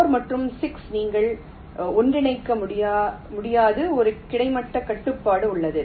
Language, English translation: Tamil, four and six: you cannot merge, there is a horizontal constraint